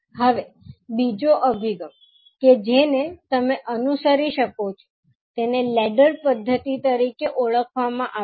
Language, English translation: Gujarati, Now, another approach which you can follow is called as a ladder method